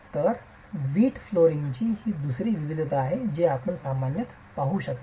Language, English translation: Marathi, So that's the second variety of brick flooring that you can see commonly